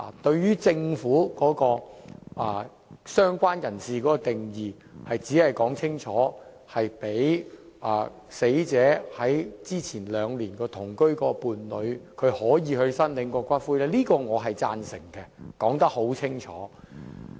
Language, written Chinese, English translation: Cantonese, 對於政府對"相關人士"的定義的修正案，即清楚訂明容許跟死者死前兩年同居的伴侶申領骨灰，這一點我是贊成的，我說得很清楚。, As for the amendment on related person proposed by the Government which stipulates unequivocally that partners who had been living in the same household with the deceased for two years prior to the death of the deceased may claim the ashes of the deceased I support it . I have already made this clear